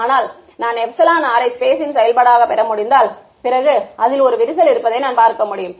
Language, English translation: Tamil, But if I can get epsilon r as a function of space, then I can see oh there is a crack running to it